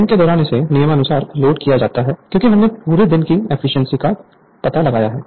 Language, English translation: Hindi, During the day, it is loaded as follows right it is because we have find out all day efficiency